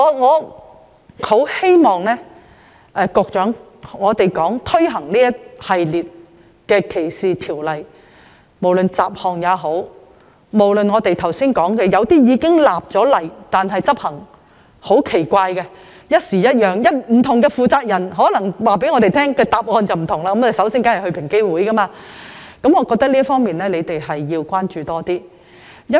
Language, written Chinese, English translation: Cantonese, 我很希望局長在推行一系列反歧視條例後會多加關注，不論是雜項修訂或是剛才提過執行方式很奇怪的法例，還有處理方式此一時、彼一時，不同的負責人會給予不同的回覆，而大家都會選擇先前往平機會。, I very much hope that the Secretary will following the introduction of a series of anti - discrimination ordinances show more concern about the miscellaneous amendments or the legislation with weird enforcement that I mentioned earlier . Moreover the Secretary should also look into the cases where the handling approach changes all the time and the replies vary greatly with different persons - in - charge . It is natural for people to approach EOC in the first place